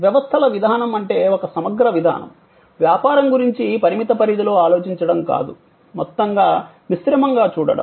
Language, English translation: Telugu, Systems approach means an integral approach, not thinking of the business in silos, but looking at it as a composite whole